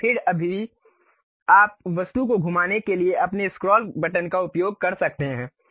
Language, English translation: Hindi, Now, still you can use your scroll button to really rotate the object also